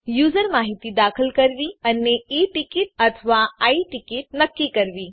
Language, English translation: Gujarati, To enter user information and to decide E ticket or I ticket